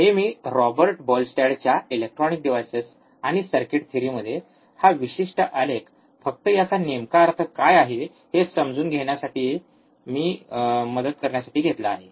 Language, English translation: Marathi, this I have taken from Robert Boylestad, Electronic Devices and Circuit Theory, this particular graph, just to help you understand what exactly this means